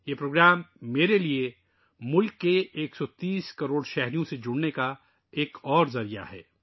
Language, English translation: Urdu, This programmme is another medium for me to connect with a 130 crore countrymen